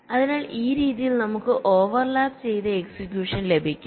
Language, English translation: Malayalam, so in this way we can get overlapped execution